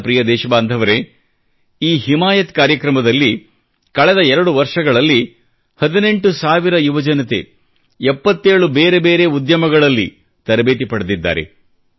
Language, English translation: Kannada, My dear countrymen, it would gladden you that under the aegis of this programme, during the last two years, eighteen thousand youths, have been trained in seventy seven different trades